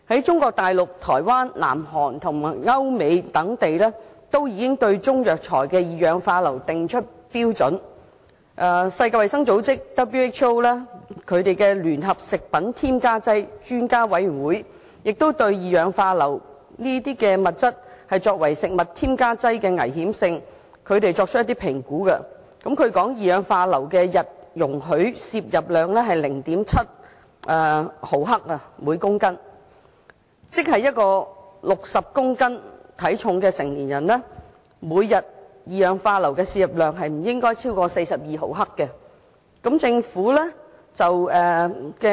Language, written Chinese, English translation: Cantonese, 中國內地、台灣、南韓及歐美等地均已就中藥材的二氧化硫含量訂定標準，世界衞生組織聯合食品添加劑專家委員會亦已對二氧化硫作為食物添加劑的危險性作出評估，釐定二氧化硫的每天容許攝入量為每公斤 0.7 毫克，即一名體重為60公斤的成年人每天攝入二氧化硫的分量不應超過42毫克。, Various places such as Mainland China Taiwan South Korea Europe and the United States have set out standards for sulphur dioxide content in Chinese herbal medicines . The WHO Expert Committee on Food Additives has assessed the risk of using sulphur dioxide as a food additive and set the tolerable daily intake of sulphur dioxide at 0.7 mgkg . That means the daily intake of sulphur dioxide for an adult who weighs 60 kg should not exceed 42 mg